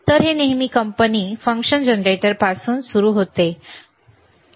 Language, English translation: Marathi, So, it always starts from the company function generators and that is fine